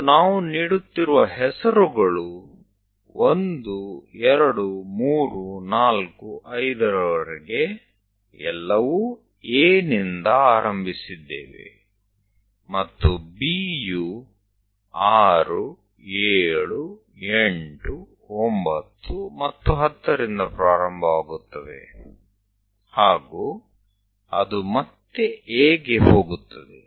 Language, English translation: Kannada, And the names what we are making is beginning with A all the way to 1, 2, 3, 4, 5, and again B starting with 6, 7, 8 and 9 and 10, and again it goes to A